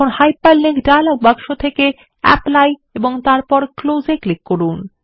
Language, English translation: Bengali, Now, from the Hyperlink dialog box, click on Apply and then click on Close